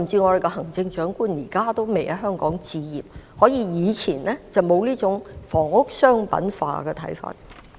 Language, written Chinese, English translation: Cantonese, 我們的行政長官現在也未有在香港置業，因為我們過往並沒有這種房屋商品化的看法。, Until now our Chief Executive has yet to acquire properties in Hong Kong . This is because we did not have this idea of commercialization of housing